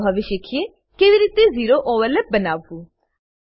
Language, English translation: Gujarati, Now, lets learn how to create a zero overlap